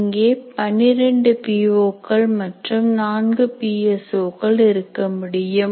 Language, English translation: Tamil, There are 12 POs and there can be 4 PSOs